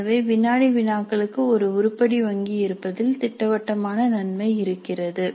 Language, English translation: Tamil, So, there is a definite advantage in having an item bank for the quizzes